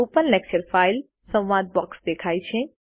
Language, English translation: Gujarati, The Open Lecture File dialogue box appears